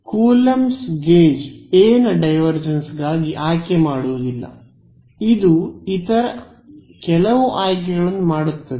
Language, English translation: Kannada, No coulombs gauge does not make this choice for divergence of A it makes some other choices